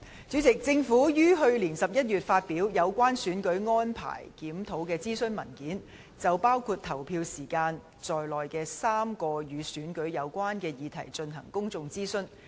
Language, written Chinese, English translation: Cantonese, 主席，政府於去年11月發表《有關選舉安排檢討的諮詢文件》，就包括投票時間在內的3個與選舉有關的議題進行公眾諮詢。, President in November last year the Government published a Consultation Paper on Review of Electoral Arrangements launching a public consultation on three issues related to elections including the polling hours